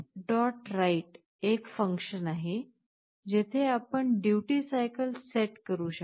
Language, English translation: Marathi, write() is a function, where you can set the duty cycle